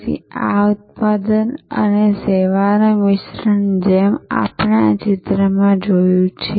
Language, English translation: Gujarati, So, this product and service fusion as we saw in this picture